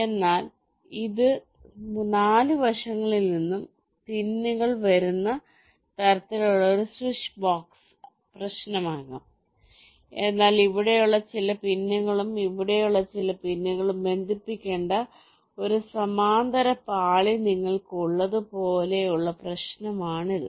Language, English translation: Malayalam, so this can be a switch box kind of problem where pins are coming from all four sides, but problem like this where you have a parallel layers where some pins here and some pins here need to connected